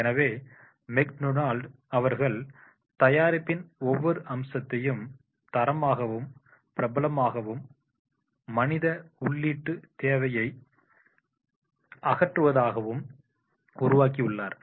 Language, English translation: Tamil, So, McDonald's famously and relentlessly standardize every aspect of their product in order to eliminate the need for the human input